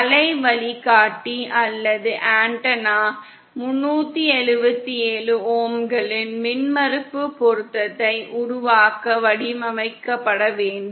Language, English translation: Tamil, The waveguide or the antenna has to be designed to produce and impedance matching of 377 ohm